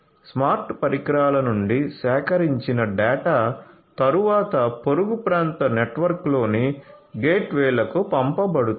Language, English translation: Telugu, So, the data that are collected from the smart devices are then sent to the gateways in the neighborhood area network